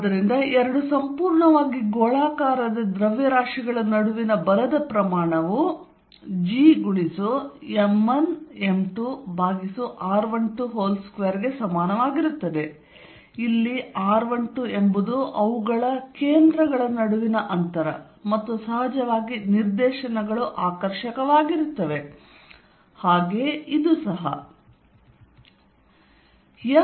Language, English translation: Kannada, So, the force between two perfectly spherical masses, the magnitude will be equal to G m 1 m 2 over r 1 2 square, where r 1 2 is the distance between their centers and of course, the directions is attractive, so this one